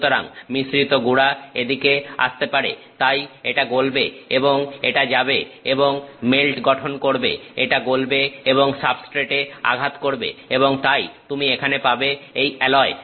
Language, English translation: Bengali, So, the mixed powder can come this way so, that will melt and it will go and form melt it will melt, it will go and hit the substrate and so, you here you will have the alloy